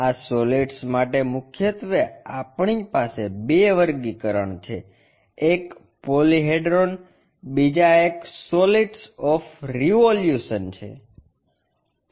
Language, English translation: Gujarati, For this solids mainly we have two classification; one is Polyhedron, other one is solids of revolution